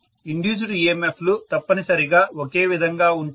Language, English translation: Telugu, Induced EMFs are essentially the same, that is what I am assuming